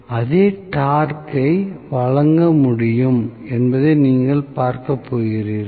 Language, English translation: Tamil, So, you are going to see that it will be able to offer the same torque